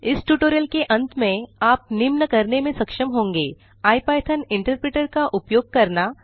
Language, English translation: Hindi, At the end of this tutorial, you will be able to, invoke the ipython interpreter